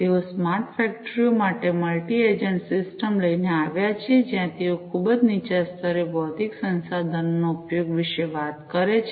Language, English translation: Gujarati, they came up with a multi agent system for smart factories, where they are talking about use of physical resources at the very bottom layer